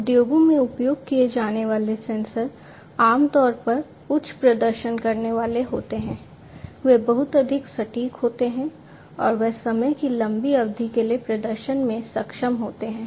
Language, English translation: Hindi, The sensors that are used in the industries are typically the ones, which have higher performance, are much more accurate, and are able to perform for longer durations of time